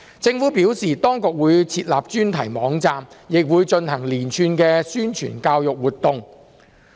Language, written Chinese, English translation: Cantonese, 政府表示，當局會設立專題網站，亦會進行連串的宣傳教育活動。, The Government advised that a dedicated website would be set up and a series of publicity and education activities would be conducted